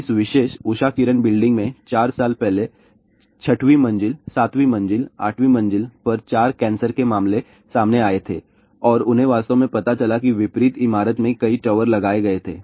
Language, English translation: Hindi, Four years back in this particular Usha Kiran building , four cancer cases were reported on sixth floor, seventh floor, eighth floor and they actually found out that there were multiple towers were installed in the opposite building